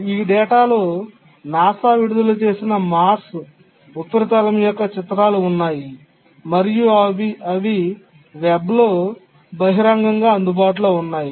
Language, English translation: Telugu, And these data included pictures of the Mars surface and which were released by NASA and were publicly available on the web